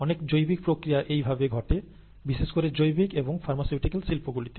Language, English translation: Bengali, And, very many biological processes happen this way, specially in biological and pharmaceutical industries, okay